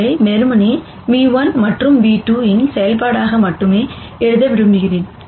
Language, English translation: Tamil, I want to write this simply as only a function of nu 1 and nu 2